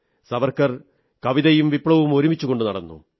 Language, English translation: Malayalam, Savarkar marched alongwith both poetry and revolution